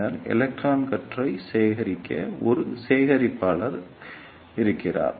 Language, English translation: Tamil, And then we have a collector to collect the electron beam